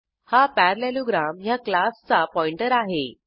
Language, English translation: Marathi, This is the pointer of class parallelogram